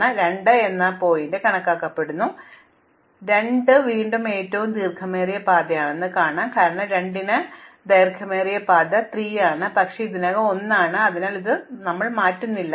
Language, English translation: Malayalam, Now, supposing I enumerate the vertex 2, now 2 will again say that the longest path, because of 2 the longest path to 3 is 1, but it is already 1, so we do not change it